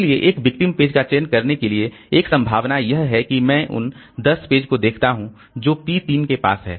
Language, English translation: Hindi, So, for selecting a victim page, one possibility is that I look into the 10 pages that P3 has with itself